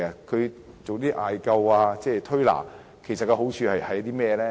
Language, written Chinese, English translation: Cantonese, 其實艾灸、推拿的好處是甚麼呢？, Actually what is good about moxibustion and manipulative therapy?